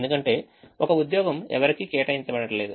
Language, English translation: Telugu, this job is not assigned to anybody